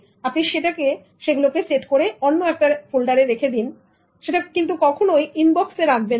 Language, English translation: Bengali, You flag it and then keep it in a different folder but then don't keep it in the inbox